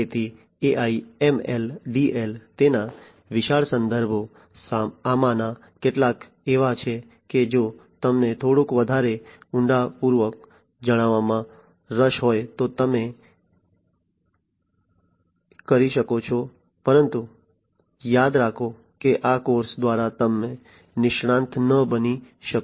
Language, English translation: Gujarati, So, you know the references for AI, ML, DL, etcetera its huge these are some of the ones that, if you are interested to know little bit more in depth you could, but mind you that through this course you cannot become an expert of artificial intelligence